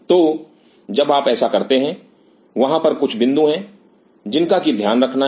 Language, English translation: Hindi, So, when you do so there are few points what has to be taken to mind